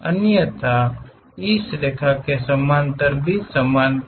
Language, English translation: Hindi, Otherwise, parallel to this line this line also parallel